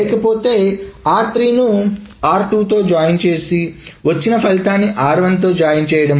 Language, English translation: Telugu, So R1 is joined with R2 and then that is joined with R3